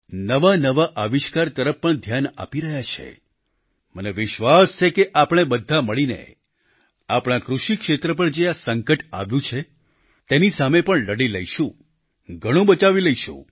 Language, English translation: Gujarati, And attention is being paid to new inventions, and I am sure that together not only will we be able to battle out this crisis that is looming on our agricultural sector, but also manage to salvage our crops